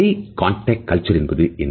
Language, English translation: Tamil, What is high context culture